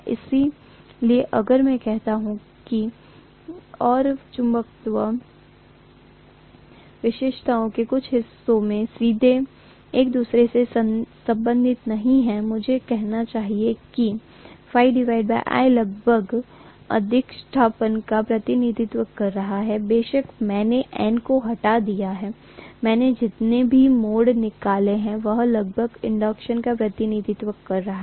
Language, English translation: Hindi, So if I say that phi and I are not directly related to each other in some portions of the magnetization characteristics, I should say correspondingly phi by I is roughly representing the inductance, of course I have removed the N, number of turns I have removed, that is approximately representing the inductance